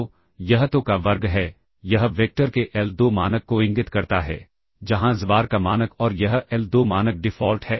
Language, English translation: Hindi, So, this is the square of the so, this indicates the l2 norm of the vector, where norm of xbar and this l2 norm is the default